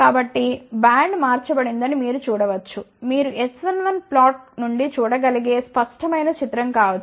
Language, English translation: Telugu, So, you can see that the band is shifted may be more clear picture you can see from S 1 1 plot